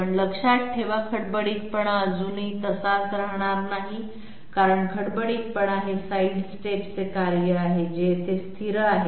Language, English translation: Marathi, But mind you, the roughness is still not going to remain same because roughness is a function of the side step which is remaining constant here